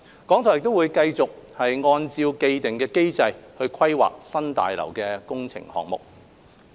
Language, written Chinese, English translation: Cantonese, 港台會繼續按照既定機制規劃新廣播大樓的工程項目。, RTHK will continue to take forward the New BH project in accordance with the established mechanism